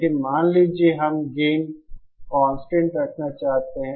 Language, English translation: Hindi, But suppose we want to keep the gain constant